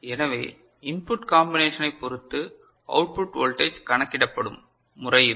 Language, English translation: Tamil, So, this is the way the output voltage depending on the input combination will be calculated